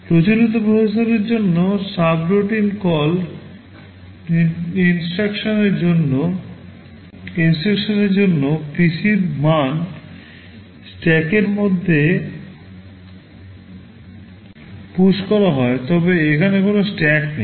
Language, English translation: Bengali, For subroutine call instructions for a conventional processor, the value of PC is pushed in the stack, but here there is no stack